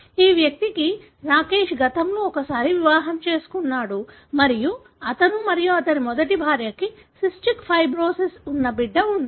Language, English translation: Telugu, This individual Rakesh was married once before and he and his first wife had a child, who has cystic fibrosis